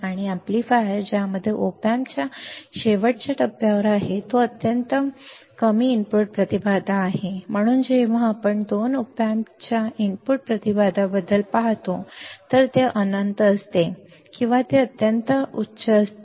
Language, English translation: Marathi, And amplifier which has which is at the last stage of the op amp has extremely low input impedance all right, so that is why when we see about input impedance of the op amp it is infinite or it is extremely high